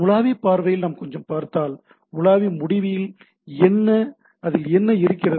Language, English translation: Tamil, So, if we look at little bit on the browser point of view, so what at the browser end, what it is having